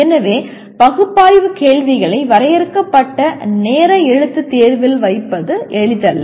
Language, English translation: Tamil, So it is not easy to put analyze questions right into limited time written examination